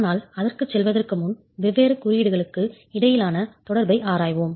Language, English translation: Tamil, But before we go to that, we will examine the interconnection between the different codes